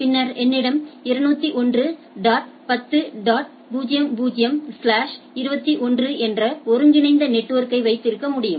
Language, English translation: Tamil, Then I can have a aggregated network of 201 dot 10 dot 00 slash 21 right